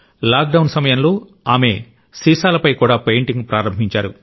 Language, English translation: Telugu, During the lockdown, she started painting on bottles too